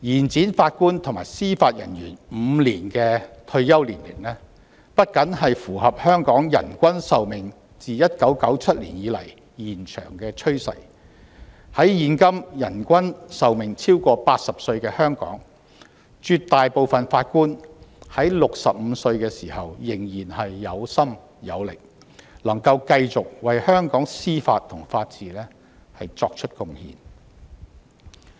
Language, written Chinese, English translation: Cantonese, 將法官及司法人員的退休年齡延展5年不僅符合香港人均壽命自1997年以來延長的趨勢，在現今人均壽命超過80歲的香港，絕大部分法官在65歲時仍然有心有力，能夠繼續為香港司法和法治作出貢獻。, Extending the retirement ages for Judges and Judicial Officers by five years not only goes with the trend toward longer average life expectancy of the population in Hong Kong since 1997 but also enables the vast majority of Judges who are willing and able to serve at the age of 65 to continue to make contribution to the judicial system and the rule of law in Hong Kong where people have an average life expectancy of more than 80 years nowadays